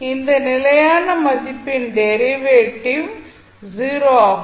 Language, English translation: Tamil, So, derivative of that constant value becomes 0